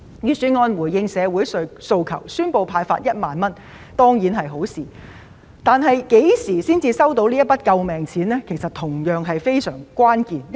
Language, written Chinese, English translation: Cantonese, 預算案回應社會訴求，宣布派發1萬元當然是好事，但究竟何時才能收到這筆救命錢，是同樣關鍵的事宜。, While it is commendable that the Budget has responded to social demands and announced the disbursement of 10,000 an equally important issue is when the people will receive this sum of life - saving money